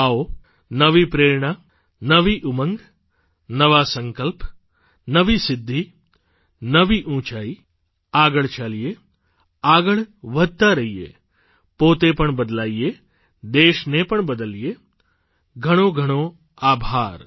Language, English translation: Gujarati, Come, imbued with renewed inspiration, renewed zeal, renewed resolution, new accomplishments, loftier goals let's move on, keep moving, change oneself and change the country too